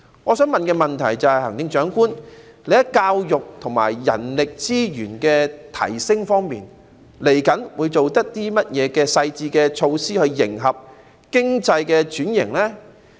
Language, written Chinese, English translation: Cantonese, 我的問題是，行政長官，你在提升教育和人力資源方面，未來會有何細緻的措施，以迎合經濟轉型？, My question is Chief Executive what are the specific measures to be taken to enhance education and manpower development in order to support economic transformation? . I am particularly concerned about the enhancement in the two most important areas ie